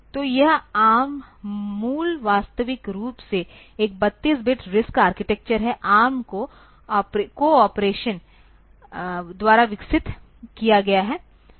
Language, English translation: Hindi, So, this ARM is a originally proposed to be a 32 bit RISC architecture, is developed by ARM corporation